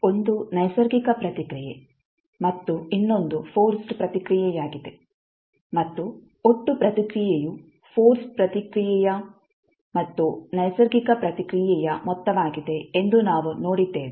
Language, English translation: Kannada, 1 is natural response and another is forced response and we saw that the total response is the sum of force response as well as natural response